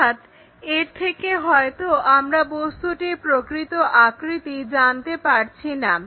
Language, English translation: Bengali, They might not give us complete true shape of the object